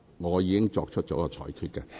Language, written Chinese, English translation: Cantonese, 我已作出了裁決。, I have nonetheless made my ruling